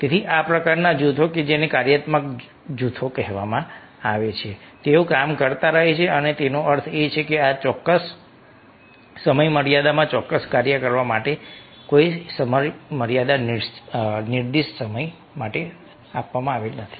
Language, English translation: Gujarati, so ah, these kind of groups, that which are called functional groups, ah they keep on working, means there is no ah time frame, that ah ah specified time that they have to perform, within this particular time frame, certain task